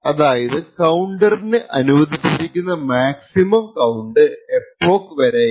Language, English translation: Malayalam, So, therefore the maximum count that is permissible by this counter is upto the epoch